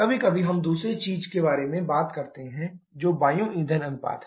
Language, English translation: Hindi, Sometimes we talk about the other thing also that is air fuel ratio